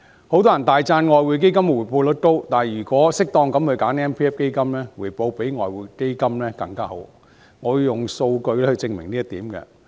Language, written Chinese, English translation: Cantonese, 許多人大讚外匯基金的回報率高，但如果適當選擇強積金基金，回報可以比外匯基金更好，我會用數據證明這一點。, Many people sing praises of the Exchange Fund for the high rate of return but MPF may yield an even better return than the Exchange Fund if choices of MPF schemes are properly made . I will prove this with data